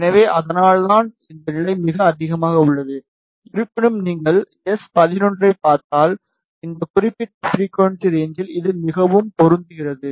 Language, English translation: Tamil, So, that is why this level is very high; however, if you see S 11 is just it is fairly matched in this particular frequency range